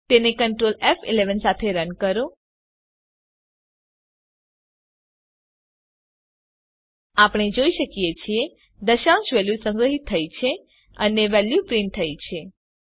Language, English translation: Gujarati, run it with Control F11 As we can see, the decimal value has been stored and the value has been printed